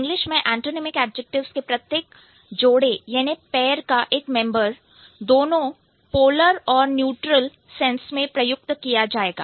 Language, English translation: Hindi, In English, one member of each pair of antinemic adjectives may be used in both polar and neutral sense